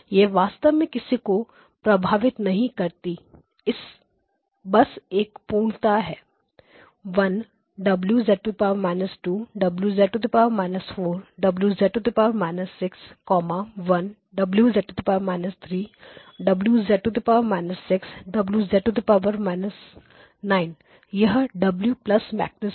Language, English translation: Hindi, It does not really matter just completeness 1 W minus 2 W minus 4 W minus 6, 1 W minus 3 W minus 6 W minus 9 that is the W dagger matrix